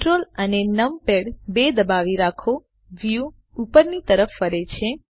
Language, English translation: Gujarati, Hold ctrl and numpad2 the view pans upwards